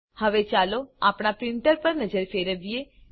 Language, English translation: Gujarati, Now, lets have a look at our printer